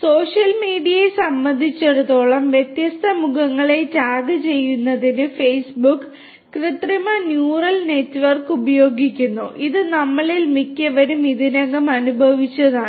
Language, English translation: Malayalam, For social media, Facebook uses artificial neural network for tagging different faces and this is what most of us have already experienced